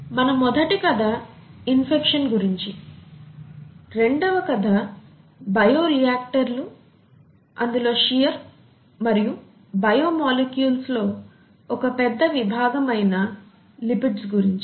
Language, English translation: Telugu, Our first story was about infection and so on, the second story was about sheer in bioreactors which led us to lipids and what lipids are and things like that, one major class of biomolecules